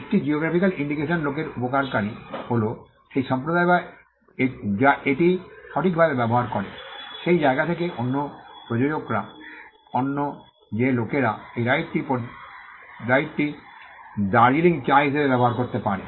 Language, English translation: Bengali, The beneficiary of a geographical indication does of the people are the community which uses it is right, the producers from that place the other they are the people who can use that Right for instance Darjeeling tea